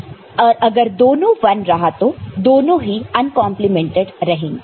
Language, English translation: Hindi, So, if it is 0, then it will be unprimed, uncomplemented